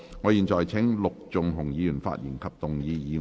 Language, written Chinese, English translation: Cantonese, 我現在請陸頌雄議員發言及動議議案。, I now call upon Mr LUK Chung - hung to speak and move the motion